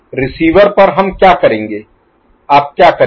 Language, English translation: Hindi, At the receiver end, what we’ll, what will you do